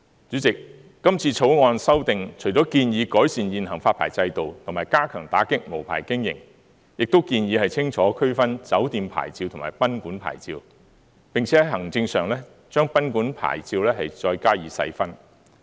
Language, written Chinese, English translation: Cantonese, 主席，今次《條例草案》除了建議改善現行發牌制度及加強打擊無牌經營外，亦建議清楚區分酒店牌照及賓館牌照，並且在行政上，將賓館牌照再加以細分。, President this time around apart from proposing the improvement of the existing licensing regime and the enhancement of the enforcement actions against unlicensed operations of guesthouses and hotels it is also recommended in the Bill a differentiation of hotel licence and guesthouse licence and the sub - categorization of guesthouse licence administratively